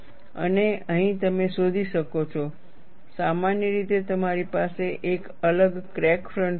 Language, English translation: Gujarati, And here, you find, in general, you will have a varying crack front